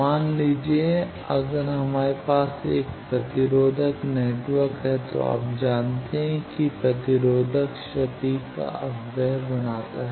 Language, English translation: Hindi, Suppose, if we have a resistive network obviously, you know resistance creates dissipation of power